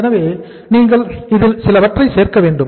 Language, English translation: Tamil, So into this you have to add something